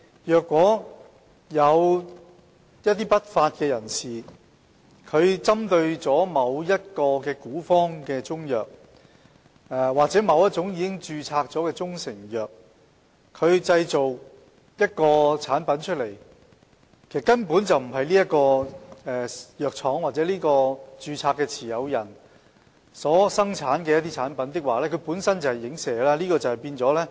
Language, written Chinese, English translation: Cantonese, 若有不法分子仿冒某古方中藥或某種已註冊的中成藥，製造另一種產品，而該產品並非由其藥廠或註冊商標持有人生產，該產品則屬於影射。, If lawbreakers imitate ancient Chinese medicine formulae or registered proprietary Chinese medicines and manufacture another product meaning the product is not manufactured by its pharmaceutical manufacturer or registered trademark owner the product is an alluded one